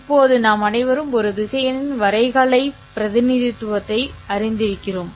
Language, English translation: Tamil, No, we are all familiar with the graphical representation of a vector